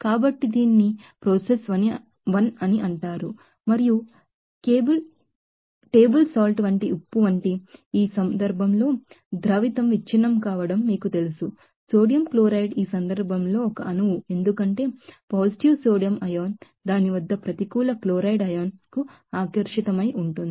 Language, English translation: Telugu, So, that will be called as process 1 and for the you know breaking up of solute in this case like salt like cable salt, sodium chloride is a molecule in this case because the positive sodium ion is attracted to the negative chloride ion at its you know molecular form and for that if you were the eristic together